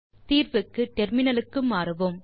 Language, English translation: Tamil, So for solution, we will switch to terminal